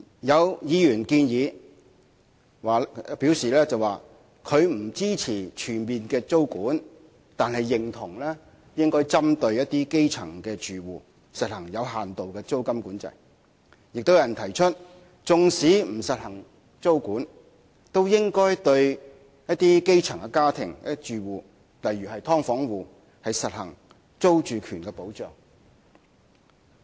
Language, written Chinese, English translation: Cantonese, 有議員表示不支持全面租管，但認同應該針對一些基層住戶的情況，實行有限度的租管；亦有人提出，縱使不實行租管，都應該對一些基層的家庭或住戶，例如"劏房戶"，實行租住權的保障。, Some Members oppose an all - out tenancy control but agree that a limited tenancy control targeting certain grass - roots households should be introduced . Others said that even if tenancy control is not implemented at least measures should be taken to protect the tenancy right of certain grass - roots families or tenants such as tenants of subdivided units